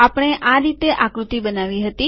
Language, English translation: Gujarati, This is how we created this figure